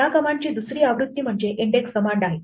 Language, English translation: Marathi, There is another version of this command called index